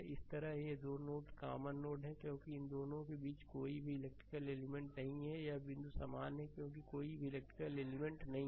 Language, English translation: Hindi, Similarly, this 2 nodes are common node, because there is no electrical element in between this 2 similarly this this point and this point it is same right because no electrical element is there